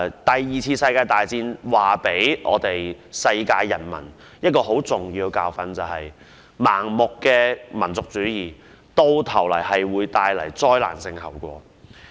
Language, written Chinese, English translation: Cantonese, 第二次世界大戰留給世界人民一個十分重要的教訓，便是盲目的民族主義最終會帶來災難性後果。, World War II has left the people of the whole world a very important lesson which is blind nationalism will eventually bring disastrous consequences